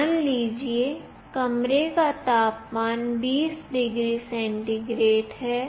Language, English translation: Hindi, Suppose, the room temperature is 20 degree centigrade